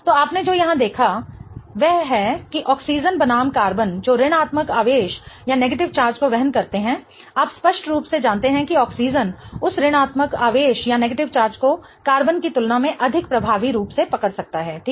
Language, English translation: Hindi, So, what you have seen here is that the oxygen versus the carbon that bears the negative charge, you obviously know that the oxygen can hold on to that negative charge much more effectively than the carbon, right